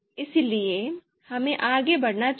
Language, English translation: Hindi, So let us move forward